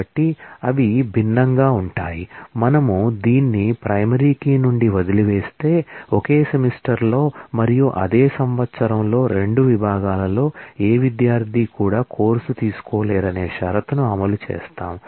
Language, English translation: Telugu, So, if we drop this from the primary key then we will enforce the condition that, no student will be able to take a course, in 2 sections in the same semester and the same year